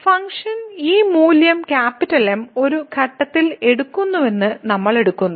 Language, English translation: Malayalam, So, we take that the function is taking this value at a point